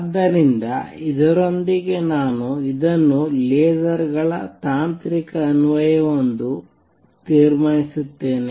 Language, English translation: Kannada, So, with this I conclude this a technological application of lasers